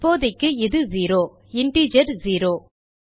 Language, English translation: Tamil, And right now its zero the integer zero